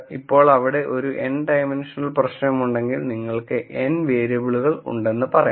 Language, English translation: Malayalam, Now if there is a n dimensional problem, if you have let us say n variables